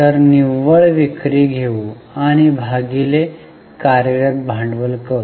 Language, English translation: Marathi, So, let us take net sales and divide it by working capital